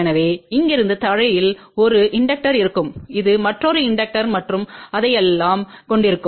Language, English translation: Tamil, So, from here to ground there will be 1 inductor this will have another inductor and all that